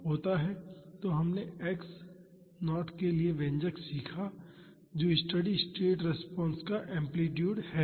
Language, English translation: Hindi, So, we learnt the expression for x naught that is the amplitude of the steady state response